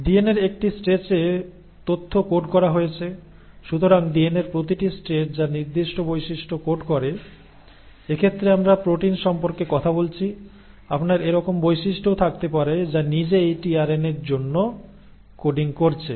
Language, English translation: Bengali, So that information is coded in a stretch of DNA, so each stretch of DNA which codes for a particular trait; in this case we are talking about proteins, you can also have traits like, which are coding for the tRNA itself